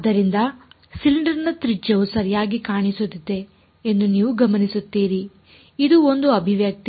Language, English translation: Kannada, So, you notice the radius of the cylinder is appearing ok, this is one expression